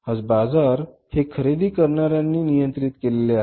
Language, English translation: Marathi, Economies today, markets today are controlled by the buyers